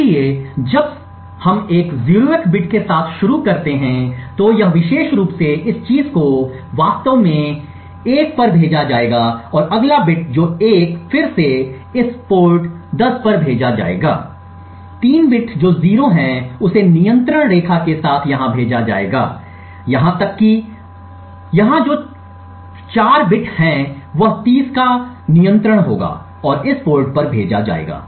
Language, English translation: Hindi, So since we start with a 0th bit this particular bit this thing will be actually sent to this 1 and the next bit which is 1 again would be sent on this port 10, the 3rd bit which is 0 would be sent here with the control line even and the 4th bit which is here would be having the control of 30 and sent on this port